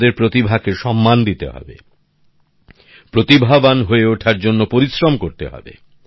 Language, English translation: Bengali, We have to respect the talent, we have to work hard to be skilled